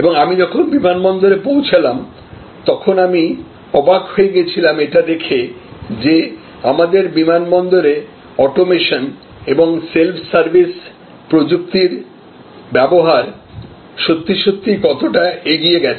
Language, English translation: Bengali, And when I reach the airport, I found to be surprise, this is actually goes a way beyond the kind of automation and self service technology that are deployed at our airports